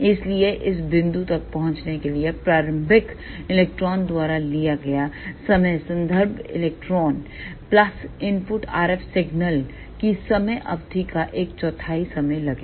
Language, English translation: Hindi, So, time taken by the early electron to reach to this point will be time taken by the reference electron plus one fourth of the time period of the input RF signal